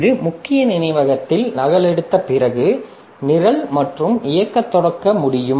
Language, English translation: Tamil, So, after it has copied into main memory, so then only the program can start executing